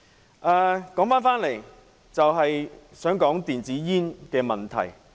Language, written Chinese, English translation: Cantonese, 話說回來，我想談談電子煙的問題。, Now let us return to the issue of electronic cigarettes